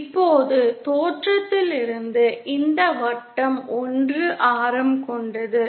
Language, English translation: Tamil, Now from the origin, this circle has a radius of 1